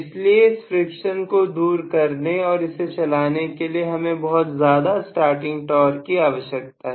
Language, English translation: Hindi, So, it has to overcome that friction and start moving, for which you require a very very large starting torque normally